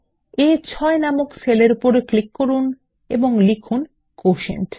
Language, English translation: Bengali, Click on the cell referenced A6 and type QUOTIENT